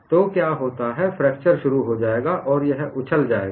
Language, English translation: Hindi, So, what happens is the fracture will initiate and it will jump